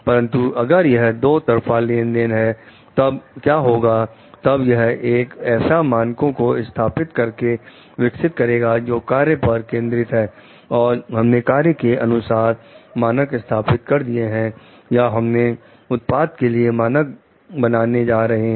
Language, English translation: Hindi, But, if it is a two way transaction then what happens then it helps in developing the setting standards like performance even if you are focusing on tasks and we are setting standards for the task or we are going to set standard for the product